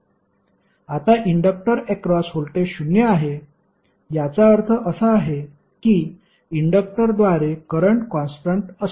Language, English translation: Marathi, Now voltage across inductor is zero, it means that current through inductor is constant